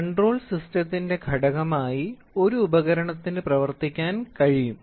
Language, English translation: Malayalam, So, an instrument can serve as a component of control system